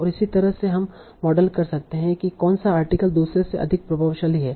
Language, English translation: Hindi, And that way you can model which article is more influential than another